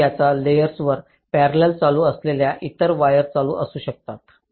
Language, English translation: Marathi, so there can be other wires running in parallel on the same layer